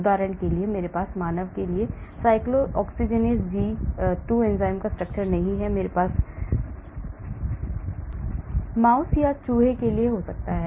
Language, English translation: Hindi, for example, I do not have the 3 dimensional structure of the cyclooxygenase 2 enzyme for human, but I may have for mouse or rat